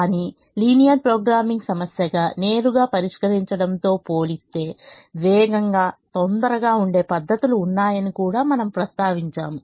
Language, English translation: Telugu, but we also mention that there are methods which are faster and quicker compared to solving it as a linear programming problem directly